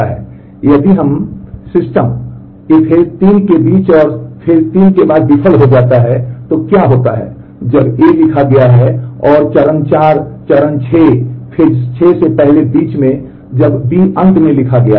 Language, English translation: Hindi, Now, what happens if the system fails between step 3 and after step 3 when A has been written and between before step 4 step 6 when B has finally, been written